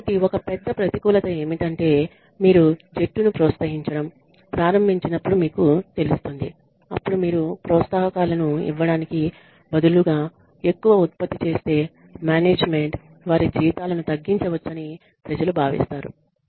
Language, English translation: Telugu, So, one big disadvantage is that you know when you start incentivizing the team then people feel that the management might cut their salaries if you produce too much instead of giving you the incentives